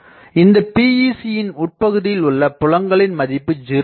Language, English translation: Tamil, I think you know PEC inside that the fields are 0